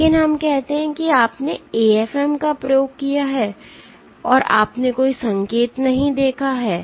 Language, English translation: Hindi, But let us say you did that AFM experiment, you did the AFM experiment and you saw no signal at all